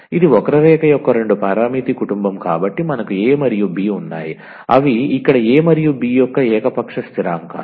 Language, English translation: Telugu, So, this is the two parameter family of curve so we have a and b they are the arbitrary constants here a and b